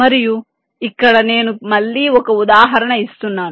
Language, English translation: Telugu, let here i am giving an example again